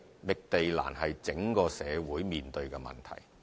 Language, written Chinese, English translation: Cantonese, 覓地難是整個社會面對的問題。, The difficulty in site identification is a problem faced by the entire society